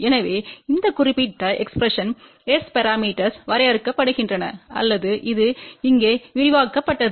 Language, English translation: Tamil, So, S parameters are defined by this particular expression here or this was expanded over here